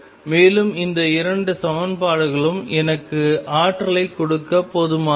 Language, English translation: Tamil, And these two equations are sufficient to give me the energy